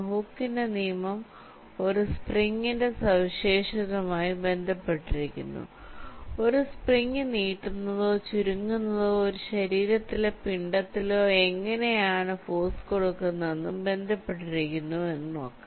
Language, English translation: Malayalam, so hookes law relates to the property of a spring, how stretching or contracting a spring exerts force on a body or a mass which is connected to the spring